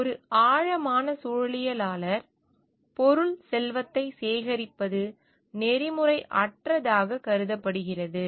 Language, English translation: Tamil, For a deep ecologist collecting material wealth is considered to be unethical